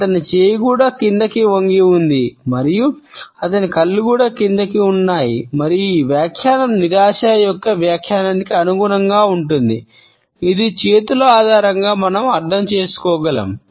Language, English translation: Telugu, His hand is also tilted downwards and his eyes are also downcast and this interpretation is consistent with the interpretation of frustration which we can understand on the basis of the clenched hands